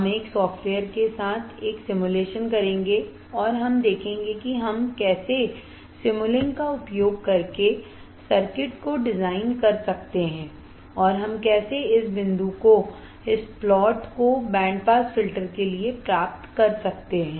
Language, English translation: Hindi, We will perform a simulation with a software right and we will see how we can design the circuit using a Simulink and how we can obtain this point, obtain this plot for the band pass filter